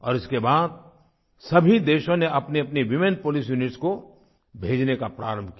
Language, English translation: Hindi, Later, all countries started sending their women police units